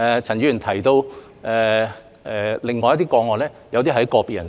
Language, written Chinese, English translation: Cantonese, 陳議員提到另外一些個案，有些涉及個別人士。, Dr CHAN mentioned some other cases some of which involved individuals